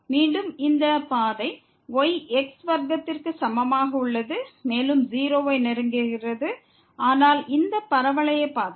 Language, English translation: Tamil, Again, this path is equal to square is also approaching to 0, but with this parabolic path